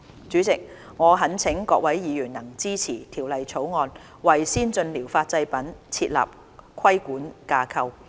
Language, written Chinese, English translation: Cantonese, 主席，我懇請各位議員支持《條例草案》，為先進療法製品設立規管架構。, President I implore Members to support the Bill which seeks to provide for a regulatory framework for ATPs